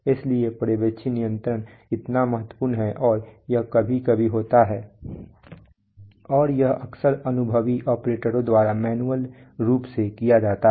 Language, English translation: Hindi, So that is why supervisory control is so critical and it is sometimes and it is often done by very experienced operators manually